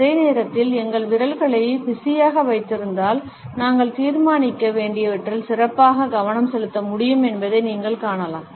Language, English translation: Tamil, At the same time you would find that, if our fingers are kept busy, we are able to better concentrate on what we have to decide